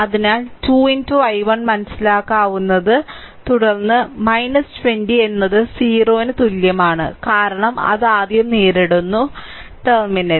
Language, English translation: Malayalam, So, 2 into i 1 understandable right 2 into i 1 plus v 1, then minus 20 equal to 0 because it is encountering that minus terminal first